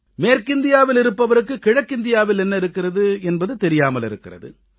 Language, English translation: Tamil, People of West India may not be knowing what all is there in the East